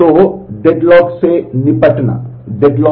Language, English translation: Hindi, So, deadlock handling